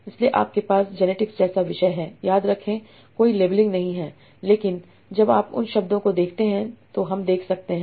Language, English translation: Hindi, So if I have a topic like genetics, remember no labeling but we can see when we see that words